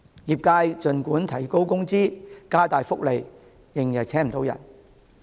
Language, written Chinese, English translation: Cantonese, 儘管業界提高工資、加大福利，仍然聘請不到員工。, In spite of pay rises and enhanced employee benefits the industry still failed to recruit adequate staff members